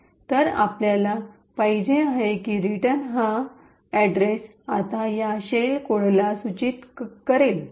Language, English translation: Marathi, So, what we want is that this return address should now point to this shell code